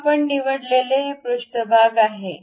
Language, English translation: Marathi, Now, this is the surface what we have picked